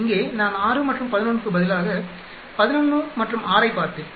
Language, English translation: Tamil, Here, I will look 11 and 6 instead of 6 and 11